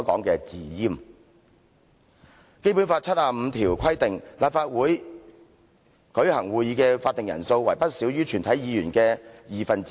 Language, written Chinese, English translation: Cantonese, 《基本法》第七十五條規定，立法會舉行會議的法定人數為不少於全體議員的二分之一。, Article 75 of the Basic Law stipulates that the quorum for the meeting of LegCo shall be not less than one half of all its Members